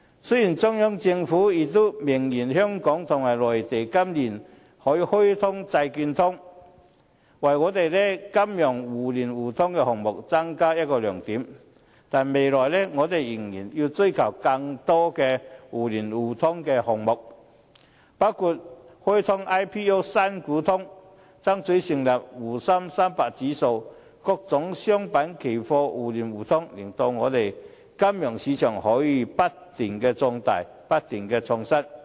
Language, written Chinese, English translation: Cantonese, 雖然中央政府已明言，香港和內地今年可以開通債券通，為香港的金融互聯互通項目增加另一個亮點，但未來我們仍然要追求更多的互聯互通項目，包括開通 "IPO" 新股通、爭取成立滬深300指數，各種商品期貨互聯互通，令香港的金融市場可以不斷壯大，不斷創新。, Although the Central Government has stated expressly that the Mainland - Hong Kong Bond Market Connect can commence this year to add another strength to mutual access in the financial market we still have to pursue more mutual access items in the future including the launching of the Primary Equity Connect for initial public offering and striving for the establishment of the Shanghai Shenzhen CSI 300 Index . With the mutual access of various commodity futures the financial markets of Hong Kong can keep growing and innovating